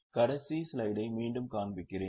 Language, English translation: Tamil, I'll just show the last slide again